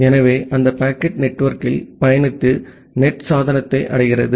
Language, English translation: Tamil, So, that packet traverses to the network and reaches to the NAT device